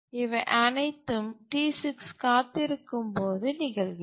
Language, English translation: Tamil, And all the while T6 is kept waiting